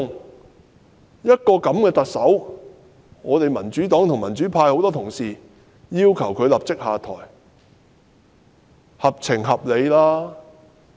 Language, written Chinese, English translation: Cantonese, 對於這樣的一個特首，民主黨及民主派多位議員均要求她立即下台，這是合情合理的。, The demand put forth by various Members from the Democratic Party and the democratic camp for the immediate stepping down of such a deplorable Chief Executive is just sensible